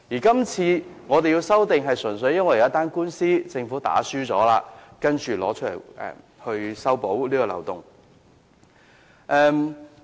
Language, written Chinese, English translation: Cantonese, 是次修訂亦純粹因為政府輸了一宗官司，才提出修補此漏洞。, The Government has proposed the present amendments to plug this loophole merely because it has lost its case in a lawsuit